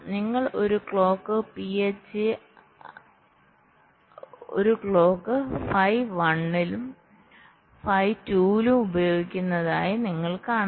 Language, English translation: Malayalam, and you see you are using a clock, phi one and phi two